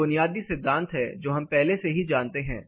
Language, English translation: Hindi, These are basic principles which we will already know